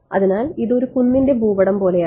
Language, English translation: Malayalam, So, it's like a topographic map of a hill right